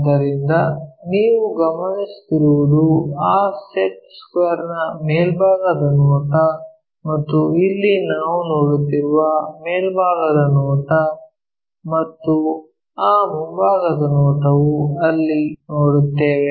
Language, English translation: Kannada, So, what you are actually observing is top view of that set square and that top view here we are seeing and that front view one is seeing there